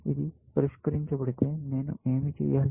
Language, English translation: Telugu, If this is solved, what do I need to do